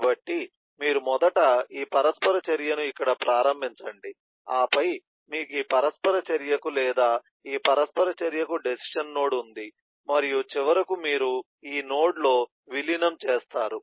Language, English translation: Telugu, you first do this interaction, then you have a decision mate to either this interaction or this interaction and finally you merge at this node